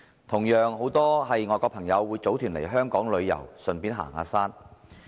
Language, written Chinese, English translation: Cantonese, 同樣，很多外國朋友會組團來港旅遊，順便行山。, Likewise many foreign friends have formed groups to come to Hong Kong for leisure travel and hiking